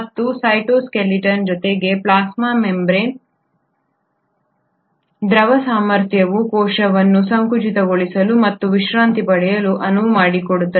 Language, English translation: Kannada, And it is this cytoskeleton along with the fluidic ability of the plasma membrane which allows the cell to contract and relax